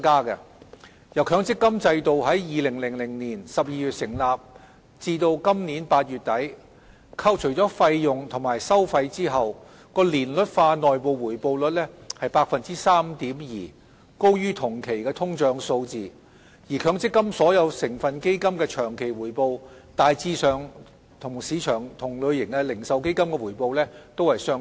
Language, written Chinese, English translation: Cantonese, 由強積金制度於2000年12月成立至今年8月底，扣除費用及收費後的年率化內部回報率為 3.2%， 高於同期的通脹數字，而強積金所有成分基金的長期回報大致上與市場同類型的零售基金的回報相若。, From the inception of the MPF System in December 2000 to the end of August this year the annualized internal rate of return of the system was 3.2 % higher than the inflation rate over the same period and the long - term returns of all MPF constituent funds were broadly comparable to the returns of similar retail funds on the market . Deputy President the MPF System has been in operation for 15 years and it has made contributions to enhancing the retirement protection of the working population in Hong Kong